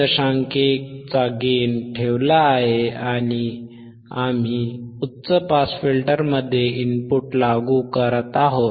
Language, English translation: Marathi, 1 andd we have we are applying the input to the high pass filter